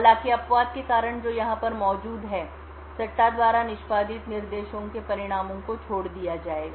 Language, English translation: Hindi, However, due to the exception that is present over here the results of the speculatively executed instructions would be discarded